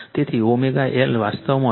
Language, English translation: Gujarati, So, L omega is actually 31